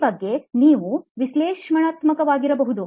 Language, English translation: Kannada, You can be analytical about this